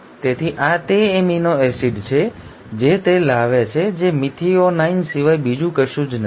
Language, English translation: Gujarati, So this is the amino acid it is bringing which is nothing but methionine